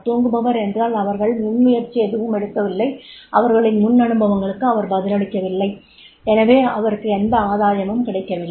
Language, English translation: Tamil, Slipper means they are not taking initiative and not responding to their experiences and therefore there is no gain